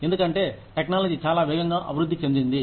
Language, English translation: Telugu, Because, technology has developed, so fast